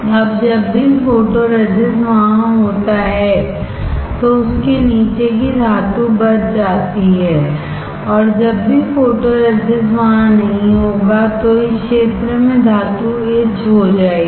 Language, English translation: Hindi, Now whenever the photoresist is there the metal below it is saved, and whenever photoresist is not there like in this area the metal will get etched